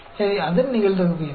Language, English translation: Tamil, So, what is the probability of that